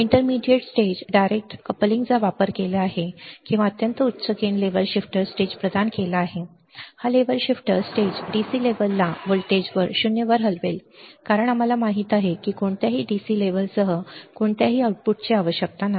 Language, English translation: Marathi, Intermediate stage used direct coupling or providing extremely high gain level shifter stage this level shifter stage will shift the DC level at the voltage to 0, right because we know do not require any output with any the DC level